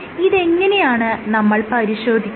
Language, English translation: Malayalam, So, how would you test this